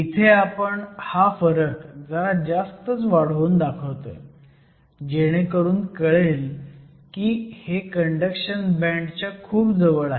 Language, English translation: Marathi, I am just exaggerating the difference to show the fact that they are close to the conduction band